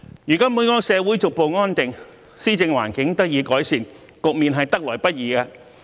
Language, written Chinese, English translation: Cantonese, 如今本港社會逐步回復安定，施政環境得以改善，這個局面得來不易。, Now that social stability has gradually been restored in Hong Kong and the governance environment has hence improved . This situation is not easy to come by